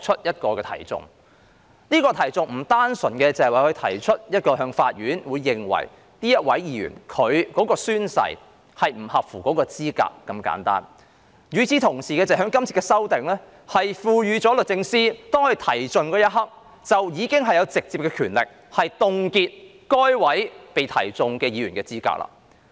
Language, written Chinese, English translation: Cantonese, 有關訴訟並非單純律政司司長向法院提出議員的宣誓不符合資格那麼簡單，這次修訂亦同時讓律政司司長在提起訴訟的一刻，擁有直接權力凍結該名議員的資格。, The present exercise is not simply about SJ bringing proceedings in the court against a member on the ground of breach of an oath but has also empowered SJ to directly freeze the qualifications of the member concerned immediately after the proceedings are brought